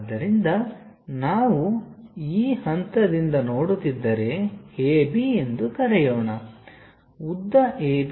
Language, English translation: Kannada, So, if we are seeing from this point this point let us call A B, the length A B is W